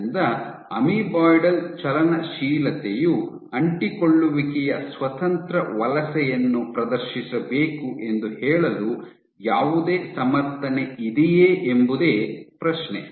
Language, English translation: Kannada, So, is there any justification for saying that amoeboidal motility must exhibit adhesion independent migration